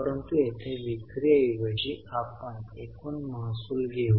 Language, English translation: Marathi, But here instead of sales, we would take the total revenues